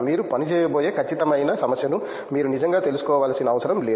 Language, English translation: Telugu, You don’t have to really know the exact problem you will be working on